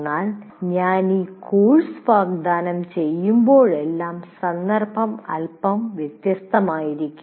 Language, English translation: Malayalam, But what happens is every time I offer this course, the context slightly becomes different